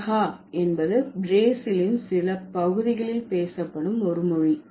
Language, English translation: Tamil, Piranha is a language which this is spoken in some parts of Brazil